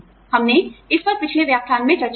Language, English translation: Hindi, We have discussed this, in a previous lecture